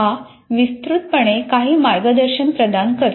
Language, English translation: Marathi, It provides some guidance